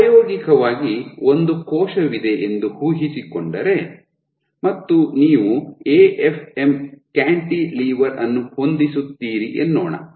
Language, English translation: Kannada, So, experimentally imagine, you have a cell and you setup an AFM cantilever